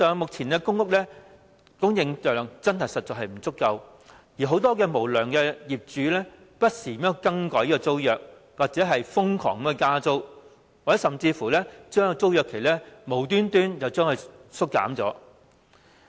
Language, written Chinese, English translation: Cantonese, 目前的公屋供應量實在不足，很多無良業主更不時更改租約，又或瘋狂加租，甚至無端把租約期縮減。, At present there is an acute shortage of PRH units . Many unscrupulous landlords frequently change the tenancy agreements or drastically increase the rents . Some even shorten the tenancy period for no reason